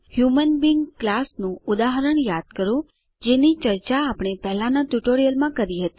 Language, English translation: Gujarati, Recall the example of human being class we had discussed in the earlier tutorial